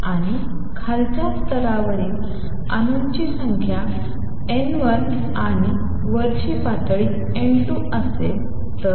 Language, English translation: Marathi, And number of atoms in the lower level being N 1 and the upper level being N 2